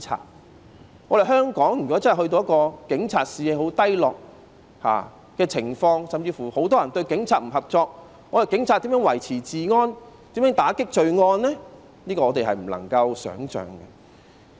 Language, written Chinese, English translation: Cantonese, 如果香港警察的士氣變得十分低落，甚至很多人不願與警察合作，警察如何維持治安、如何打擊罪案呢？, If the Police in Hong Kong have a very low morale or many people are unwilling to cooperate with the Police how could the Police maintain law and order? . And how could they fight crime?